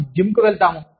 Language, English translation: Telugu, We go to the gym